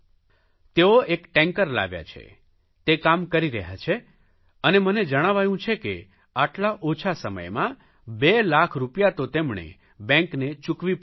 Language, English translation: Gujarati, He has purchased a tanker and I have been told that he has already returned 2 lakh rupees in such a short span of time